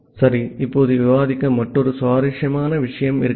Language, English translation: Tamil, Ok now, we have another interesting thing to discuss